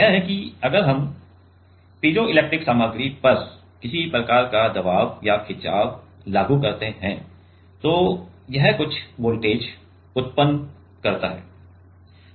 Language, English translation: Hindi, It is if we apply some kind of stress or strain on the piezoelectric material then it generates some voltage, ok